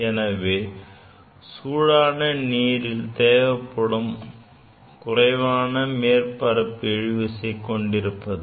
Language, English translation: Tamil, Because the heating reduces the surface tension